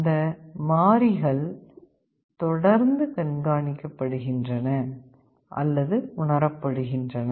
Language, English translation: Tamil, Those variables are being continuously monitored or sensed